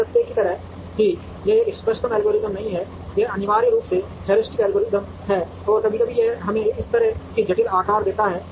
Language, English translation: Hindi, Like the fact that it is not an optimal algorithm, it is essentially a heuristic algorithm, and sometimes it would give us some kind of complicated shapes like this